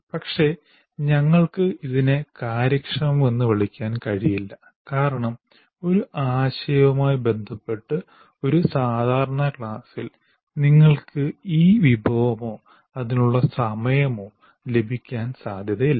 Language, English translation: Malayalam, But we cannot call it efficient because in a regular class with respect to one concept, you are not likely to have this resource nor the time available for it